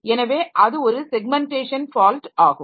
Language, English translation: Tamil, So, as a result, so this is a segmentation fault